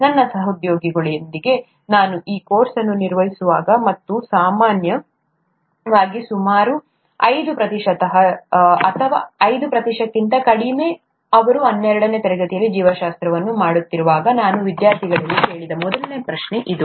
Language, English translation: Kannada, ” This is the first question I ask to students, when whenever I handled this course with my colleagues, and typically about, may be about five percent, or less than five percent would have done biology in their twelfth standard